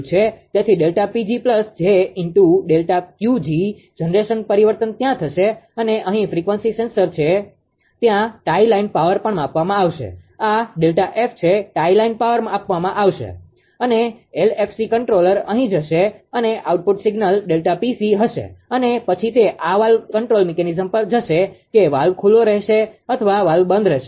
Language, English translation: Gujarati, So, delta pg plus delta Qg generation changes will be there and this is a here it will says the frequency frequency sensor is there tie line power also will be measured this is delta F tie line power will be measure and LFC controller will be here and output signal will be delta pc and the it will go this will go to the valve control mechanism whether valve will be open or valve will be closed right